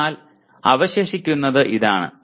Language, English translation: Malayalam, So what remains is this